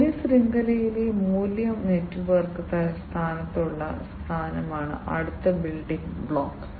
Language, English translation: Malayalam, The next building block is the position in the value network position in the value network